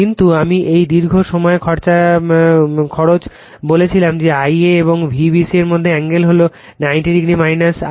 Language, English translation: Bengali, But I told you this long run cost that angle between I a and V b c is 90 degree minus theta